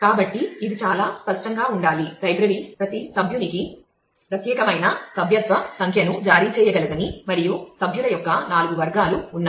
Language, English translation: Telugu, So, it should be quite obvious library has talked of that it can each it will issue unique membership number to every member and there are 4 categories of member